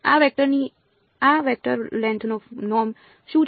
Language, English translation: Gujarati, What is the norm of this vector length of this vector